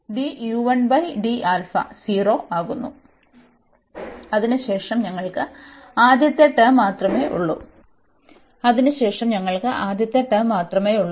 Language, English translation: Malayalam, And then we have only the first term